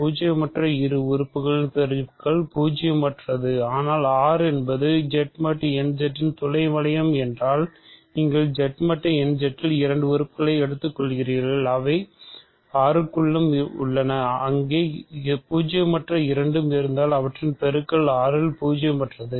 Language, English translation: Tamil, Product of two non zero things is non zero, but if R is the sub ring if Z mod n Z is the sub ring of R you take two things in Z mod n Z, they are also inside R and there if there both non zero their product is non zero in R